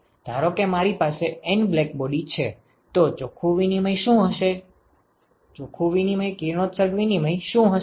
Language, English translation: Gujarati, Suppose I have N blackbody then what will be the net radiation exchange